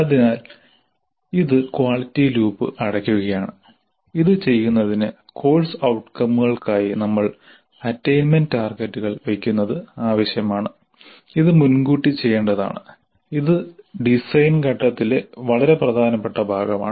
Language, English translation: Malayalam, So this is closing the quality loop and in order to do this it is necessary that we must set attainment targets for the course outcomes and this must be done upfront and this is part of the design phase an extremely important part of the design phase